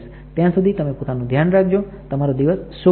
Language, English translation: Gujarati, Till then you take care have a nice day